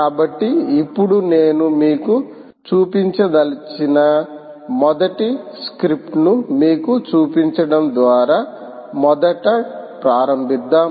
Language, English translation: Telugu, now let us first start by the, by showing you first script that i would like to show you